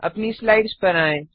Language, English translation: Hindi, Now switch back to our slides